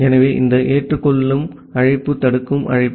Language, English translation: Tamil, So, this accept call is a blocking call